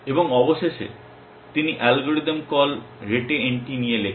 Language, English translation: Bengali, And eventually he wrote on algorithm call rete NT